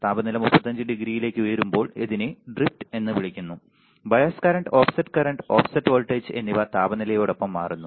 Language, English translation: Malayalam, So, when the temperature rises to 35 degree this is called the drift, bias current offset current offset voltage change with temperature all right